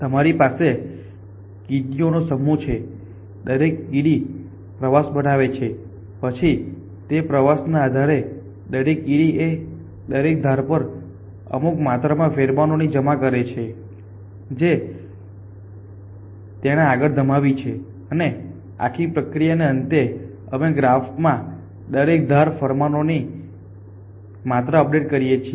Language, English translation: Gujarati, You have the set up ants each ant construct a tour then base on the 2 it is constructed each ant deposits a certain amount of pheromone on every edge that it has moved on and that the end of this whole process, we update the amount of pheromone on every edge in the graph